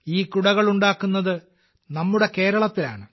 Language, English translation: Malayalam, These umbrellas are made in our Kerala